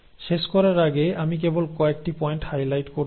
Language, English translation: Bengali, Before I wind up, I just want to highlight few points